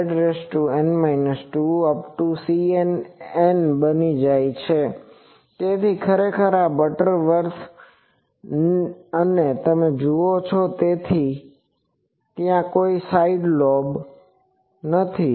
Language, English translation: Gujarati, So, this is actually Butterworth and you see that is why there are no side lobes